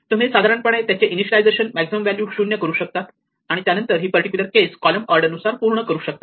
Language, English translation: Marathi, So, you keep that by initializing the maximum value to 0 and then you fill up in this particular case the column order